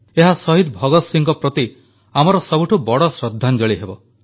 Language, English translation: Odia, That would be our biggest tribute to Shahid Bhagat Singh